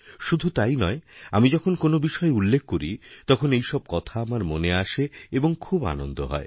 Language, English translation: Bengali, And not only this, when I mention something positive, such memories come to recall, it is very much a pleasant experience